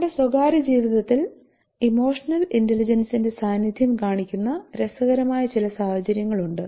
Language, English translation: Malayalam, So we have some more interesting situations that shows the presence of emotional intelligence in our private life